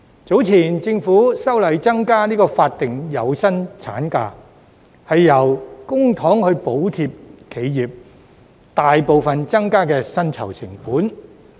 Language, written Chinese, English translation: Cantonese, 早前，政府修例增加法定有薪產假，用公帑補貼企業，以抵銷大部分所增加的薪酬成本。, Earlier on the Governments legislative amendment exercise to increase the statutory paid maternity leave involved the use of public funds to reimburse enterprises for a substantial portion of the additional wage costs